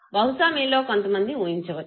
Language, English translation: Telugu, Perhaps, some of you might make a guess